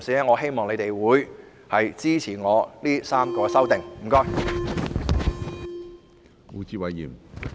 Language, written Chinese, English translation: Cantonese, 我希望議會的同事支持我的3項修正案。, I hope that colleagues in this Council will support my three amendments